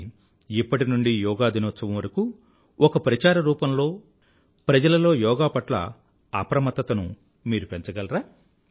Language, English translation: Telugu, Can we, beginning now, till the Yoga Day, devise a campaign to spread awareness on Yoga